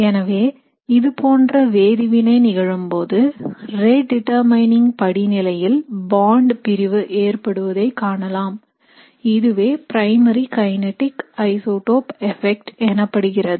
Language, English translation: Tamil, So when we do a reaction like this, if we look at substitution at the bond that is breaking in the rate determining step, it is called a primary kinetic isotope effect